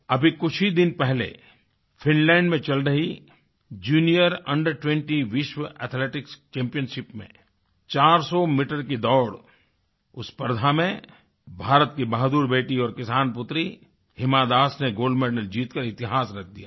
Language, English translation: Hindi, Just a few days ago, in the Junior Under20 World Athletics Championship in Finland, India's brave daughter and a farmer daughter Hima Das made history by winning the gold medal in the 400meter race event